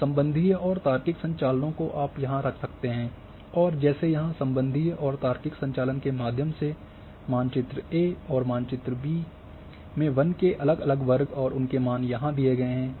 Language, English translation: Hindi, Now, relation and logical operations together you can put together and like here that relational and logical operation here is the map A and map B and different categories of say forest and their values are given here